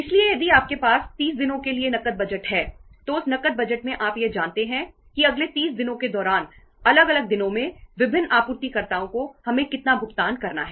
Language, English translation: Hindi, So if you have a cash budget for 30 days, in that cash budget you know it that over a period of time in the different days in the say next 30 days, how much payments we have to make to different suppliers